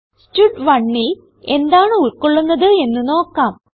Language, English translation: Malayalam, Now, let us see what stud1 contains